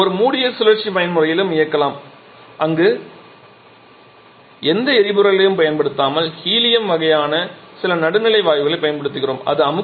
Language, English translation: Tamil, We can also run in a closed cycle mode where we are not using any fuel rather using a we are using helium kind of some neutral gas